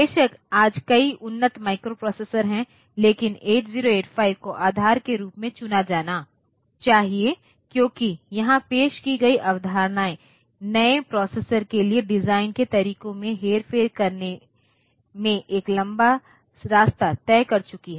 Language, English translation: Hindi, Of course, there are many advanced microprocessors today, but 8085 should be chosen as the base because this in the concepts they introduced there have gone a long way in manipulating the ways in which the new processors are design